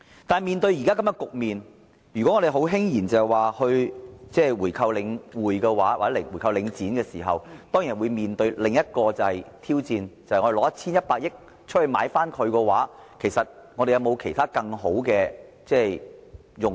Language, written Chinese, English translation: Cantonese, 但是，面對現在這個局面，如果我們輕言購回領展，當然會面對另一個挑戰，就是與其動用 1,100 億元進行回購，其實這筆錢有沒有其他更好的用途？, However in the present situation if we casually talk about buying back Link REIT of course we will face another challenge as follows instead of spending 110 billion to buy it back can this sum of money actually be used for better purposes?